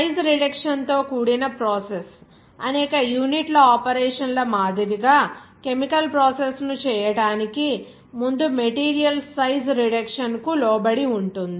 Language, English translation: Telugu, The process involving size reduction, like many unit operations in you will see subjected to size reduction of materials before to be chemical processed